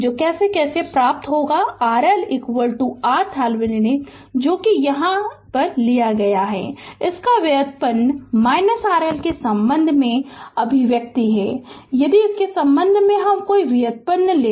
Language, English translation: Hindi, So, how we will get R L is equal to R Thevenin that is you here you take your derivative of this your expression with respect to R L right, if you take the derivative with respect to this right